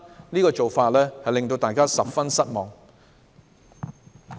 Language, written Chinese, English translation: Cantonese, 這種做法令大家十分失望。, This approach is really disappointing